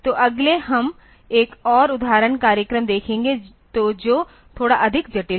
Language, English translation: Hindi, So, next we will look into another example program; so, which is slightly more complex